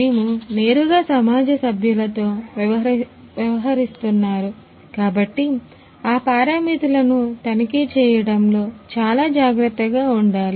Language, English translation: Telugu, And then since we are directly dealing with the society members, we have to be very careful in regarding checking those parameters